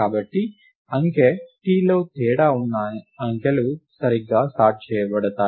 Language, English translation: Telugu, Therefore, the numbers that digit that differ in digit t are correctly sorted